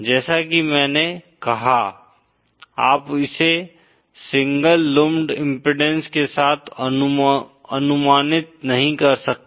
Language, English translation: Hindi, As I said, you cannot approximate this with a single lumped impedance